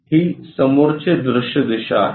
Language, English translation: Marathi, This is the front view direction